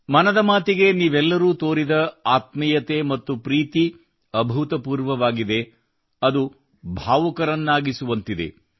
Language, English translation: Kannada, The intimacy and affection that all of you have shown for 'Mann Ki Baat' is unprecedented, it makes one emotional